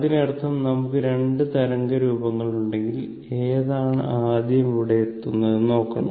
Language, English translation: Malayalam, So, that means, if you have 2 waveforms, you have to see which one is reaching it is first